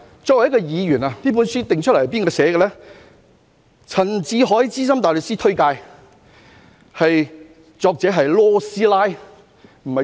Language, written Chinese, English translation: Cantonese, 這本書由陳志海資深大律師推介，作者是 "LAW 師奶"。, He said that as a Member This book is recommended by Senior Counsel Warren CHAN and the author is Ms LAW